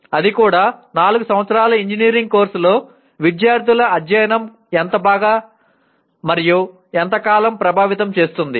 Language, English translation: Telugu, That too in a 4 year engineering course it will significantly influence how well and how long the student study